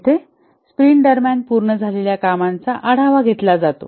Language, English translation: Marathi, Here, the work that has been completed during the sprint are reviewed